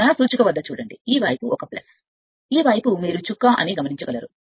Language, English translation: Telugu, Look at the look at the my cursor this side is a plus, this side is your what you call dot